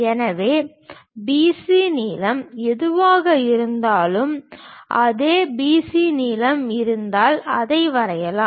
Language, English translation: Tamil, So, whatever the B C length is there the same B C length we will draw it